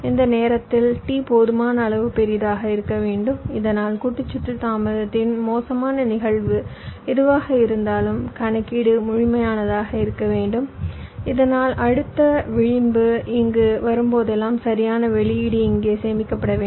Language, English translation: Tamil, after that this clock comes, and this time t should be large enough so that whatever is the worst case of the delay of the combination circuit, that computation should be complete so that whenever the next edge comes here, the correct output should get stored here